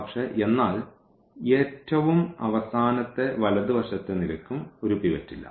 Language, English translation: Malayalam, So, but, but at least the last the rightmost column also does not have a pivot